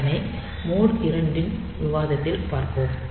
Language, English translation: Tamil, So, we will see that in mode 2 discussion